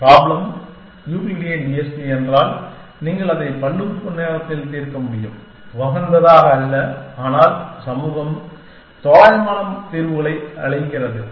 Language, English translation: Tamil, That if the problem is the Euclidean TSP then, you can solve it in polynomial time, not optimally but, the community calls approximate solutions